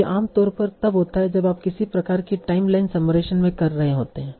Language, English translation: Hindi, So this generally happens when you are doing some sort of timeline summarization